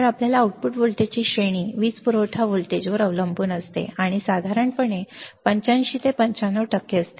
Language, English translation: Marathi, So, the range of your output voltage depends on the power supply voltage, and is usually about 85 to 95 percent